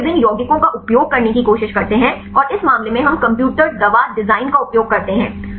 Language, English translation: Hindi, So, we try to use different compounds and this case we use computer drug design